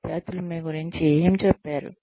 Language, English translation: Telugu, What did the students say about you